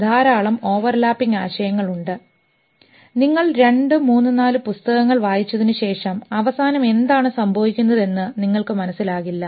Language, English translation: Malayalam, So, a lot of overlapping concepts and if you read two, three, four books, maybe at the end of it, you really don't know what is happening